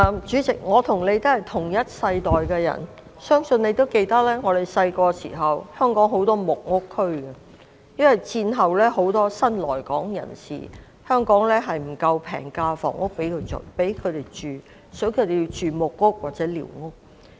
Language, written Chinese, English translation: Cantonese, 主席，我和你也是同一世代的人，你諒必記得，我們小時候，香港有很多木屋區，因為戰後有很多新來港人士，但香港並無足夠的平價房屋供他們居住，所以，他們要居住在木屋或寮屋。, President you and I belong to the same generation . You may remember that when we were children there were a lot of squatter areas in Hong Kong because after the war there were many new arrivals but there were not enough low - cost housing units to accommodate them . Hence they had to live in wooden huts or squatter huts